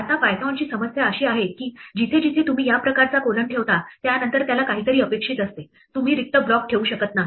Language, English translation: Marathi, Now the Problem with python is that wherever you put this kind of a colon it expects something after that, you cannot have an empty block